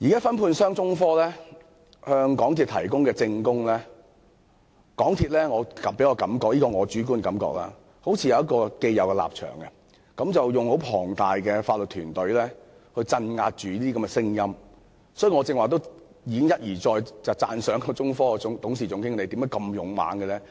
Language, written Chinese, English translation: Cantonese, 分判商中科現在提供證供，但港鐵公司給我的主觀感覺似是已有既定立場，並要以龐大的法律團隊鎮壓這些聲音，所以我才會一而再讚賞中科董事總經理的勇氣。, While subcontractor China Technology has provided some evidence MTRCL gives me the impression that it has an established stance and wants to suppress the voice of China Technology with its large legal team . That is why I have repeatedly praised the Managing Director of China Technology for his courage